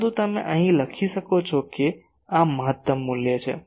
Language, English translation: Gujarati, But you write here that this is the maximum value